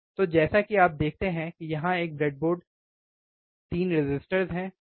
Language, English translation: Hindi, So, there is a breadboard as you see here there is a breadboard 3 resistors, right